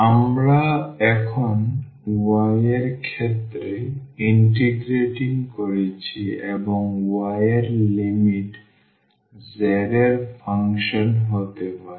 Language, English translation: Bengali, So, we are integrating now with respect to y and the limits of the y can be the function of z can be the function of z